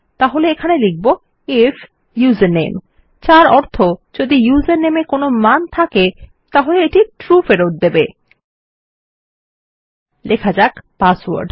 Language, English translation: Bengali, So here Ill say if username which means if username has a value, it will return TRUE and Ill say password